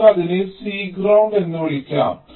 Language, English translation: Malayalam, so lets call it c ground and c ground